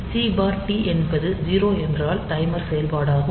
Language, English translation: Tamil, So, C/T is 0 means we are looking for the timer operation